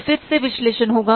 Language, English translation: Hindi, So, again, the analysis will take place